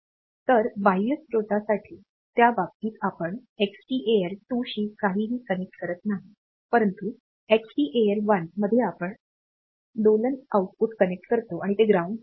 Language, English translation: Marathi, So, for external source, in that case we do not connect anything to the Xtal 2, but in Xtal 1 we connect the oscillator output and this is grounded